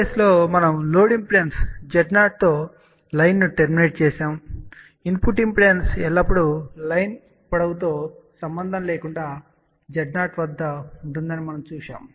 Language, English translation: Telugu, Case 3 was where we had terminated the line with load impedance Z 0 and in that case, we saw that the input impedance always remains at 0 irrespective of the length of the line